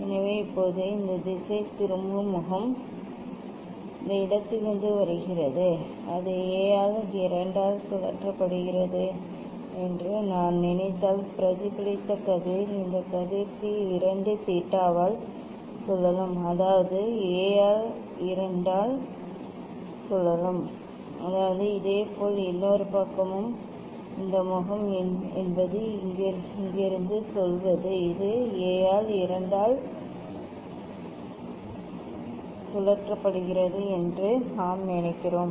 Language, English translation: Tamil, So now, this deflecting face is from this place if I think that is rotated by A by 2 then reflected ray this ray will be rotated by 2 theta means A by 2 into 2 by; that means, A similarly other side also this face is its say from here we can think that is rotated by A by 2